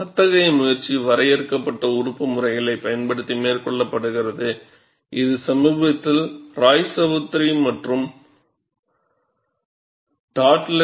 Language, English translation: Tamil, And such an attempt is made using finite element methods, which is recently reported by Roychowdhury and Dodds